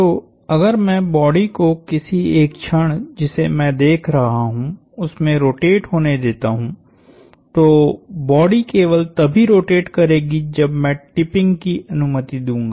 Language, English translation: Hindi, So, if I let the body rotate at the instant I am looking at, the body will only rotate if I allowed tipping